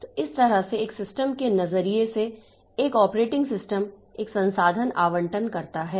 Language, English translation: Hindi, So, in this way as from a system's perspective, an operating system is a resource allocator